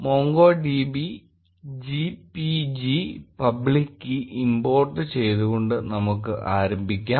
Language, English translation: Malayalam, We will begin by importing the MongoDB GPG public key